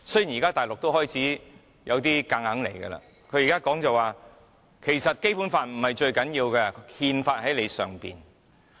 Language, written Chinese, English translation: Cantonese, 現在大陸開始有點橫着來，它說其實《基本法》並不是最重要的，因為有憲法在其之上。, And now the Mainland authorities are getting unreasonable . They say that the Basic Law is in fact not what matters most as the Constitution is above the Basic Law